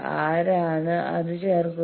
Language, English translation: Malayalam, Who has put that